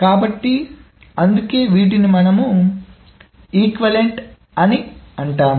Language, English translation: Telugu, So that is why these are called equivalent